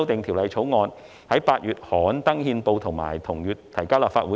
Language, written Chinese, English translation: Cantonese, 《條例草案》於8月刊憲，並於同月提交立法會。, Gazetted in August the Bill was introduced into the Legislative Council in the same month